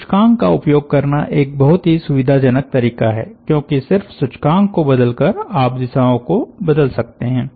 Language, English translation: Hindi, using the index is a very convenient way because just by varying the index you can vary the directions